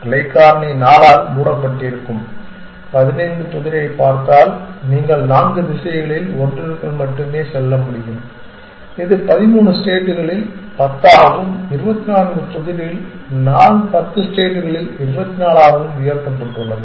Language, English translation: Tamil, If you look at the 15 puzzle where the branching factor is capped by 4, you can only move within one of four directions, it is about 10 raised to 13 states and the 24 puzzle is about 10 raised to 24 states